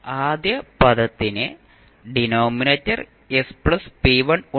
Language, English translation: Malayalam, The first term has the denominator s plus p1